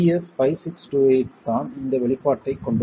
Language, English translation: Tamil, It is BS 5628 that has this expression